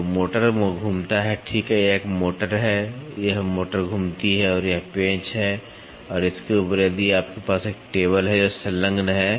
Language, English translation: Hindi, So, the motor rotates, right this is this is a motor this motor rotates and this is the screw and on top of it if you have a table which is attached